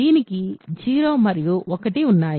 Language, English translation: Telugu, So, it has 0 and 1